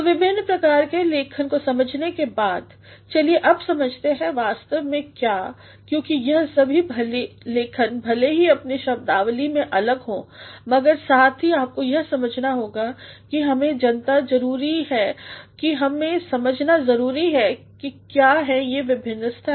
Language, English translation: Hindi, So, having understood the different types of writing, let us now come to understand what actually; because all these writings though they may differ in terms of their nomenclatures but, at the same time you must understand that we must know and we must understand what actually are the various stages